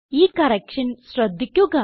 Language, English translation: Malayalam, You will notice the correction